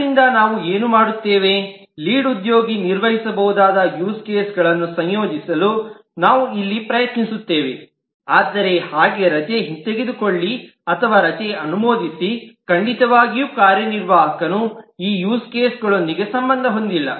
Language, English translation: Kannada, we just here try to associate the use cases that the lead can perform, but like revoke leave or approve leave, certainly the executive in turn cannot be associated with this used cases